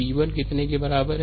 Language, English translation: Hindi, V 1 is equal to how much